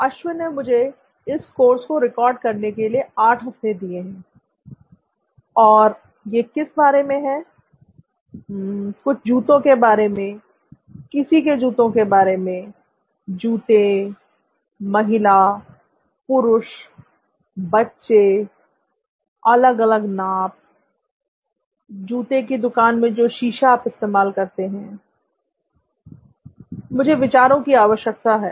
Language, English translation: Hindi, Ashwin has given me 8 weeks to record this course and what is it about, something about shoes, somebody shoes, shoes, woman, man, child, different sizes, that mirror that you use in a shoe shop, I need ideas